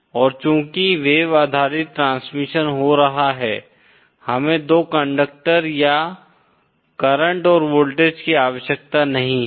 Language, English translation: Hindi, And since wave based transmission is happening, we need not have 2 conductors or current and voltage present